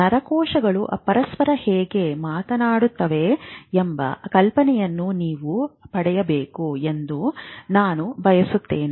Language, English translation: Kannada, I hope you would have got an idea of how the neurons talk to each other